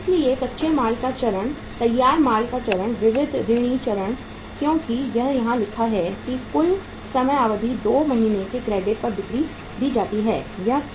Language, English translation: Hindi, So raw material stage, finished goods stage, sundry debtor stage because it is written here that total time period is given sales at the 2 month’s credit